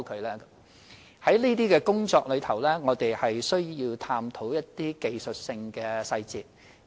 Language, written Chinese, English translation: Cantonese, 在處理這些工作時，我們要探討技術性的細節。, When we carry out such work we have to look into the technical details